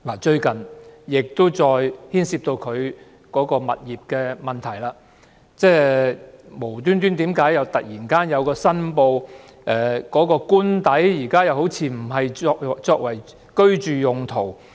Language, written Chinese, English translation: Cantonese, 最近司長再次牽涉有關物業的問題，就是她突然申報現時官邸似乎並非用作居住用途。, Recently the Secretary for Justice has once again been involved in issues relating to real estates . She suddenly declared that she no longer lived in her official residence